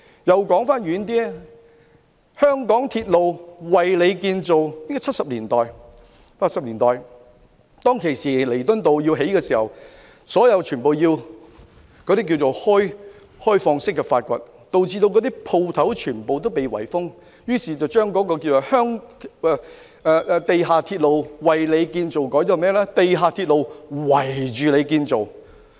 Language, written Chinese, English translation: Cantonese, 說得遠一點，"地下鐵路，為你建造"，地鐵於七八十年代在彌敦道興建時，整個路段要作開放式挖掘，導致店鋪全被圍封，於是有人把"地下鐵路，為你建造"的口號改為"地下鐵路，圍你建造"。, Back then there was the slogan MTR―A Railway For You . During the construction of the Mass Transit Railway MTR on Nathan Road in the 1970s and 1980s open excavation was carried out along the entire road thus causing all the shops to be enclosed . Some people thus changed the slogan from MTR―A Railway For You to MTR―A Railway Enclosing You